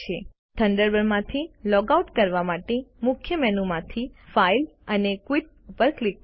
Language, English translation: Gujarati, To log out of Thunderbird, from the Main menu, click File and Quit